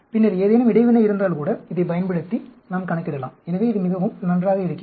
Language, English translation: Tamil, Then, if there is any interaction also we can calculate, using this; so, it is very nice